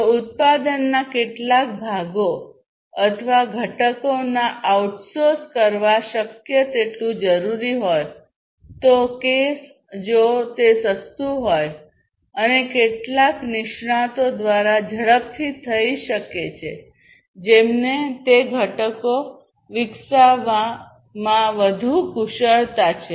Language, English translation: Gujarati, If required as much as possible to outsource to outsource some parts of the product or the components, as the case, may be if it is cheaper and can be done faster by some experts, who are more, who have more expertise, in developing those components